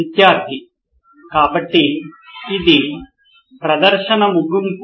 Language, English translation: Telugu, So this is the end of the presentation